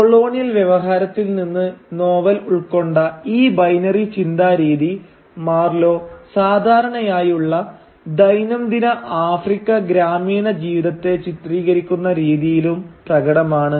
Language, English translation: Malayalam, And this binary mode of thinking that the novel inherits from the colonial discourse is also apparent in the way Marlow portrays normal everyday African village life